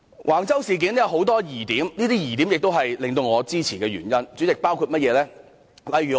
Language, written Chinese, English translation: Cantonese, 橫洲事件有很多疑點，而這些疑點也是我支持這項議案的原因。, There are many doubts about the Wang Chau incident and such doubts are also my reason for supporting this motion